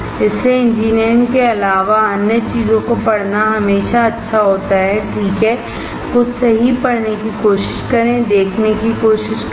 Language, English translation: Hindi, So, it is always good to read other things apart from engineering, right, try to read something right, try to watch